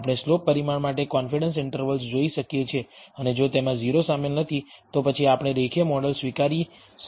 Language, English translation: Gujarati, We can look at the confidence interval for the slope parameter and if that does not include 0, then maybe we can accept a linear model